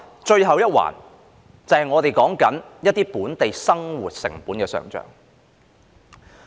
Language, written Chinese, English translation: Cantonese, 最後一環，就是我們談論中一些本地生活成本的上漲。, The last point is about the rising costs of living in Hong Kong